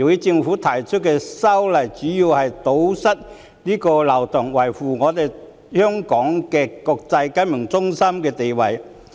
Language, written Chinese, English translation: Cantonese, 政府提出修例主要是為了堵塞這個漏洞，維護香港國際金融中心的地位。, The Government has introduced the legislative amendment mainly for the purpose of plugging this loophole in a bid to maintain the status of Hong Kong as an international financial centre